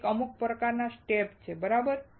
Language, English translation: Gujarati, There is some kind of a step, right